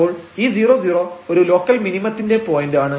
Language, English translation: Malayalam, So, this 0 0 is a point of local minimum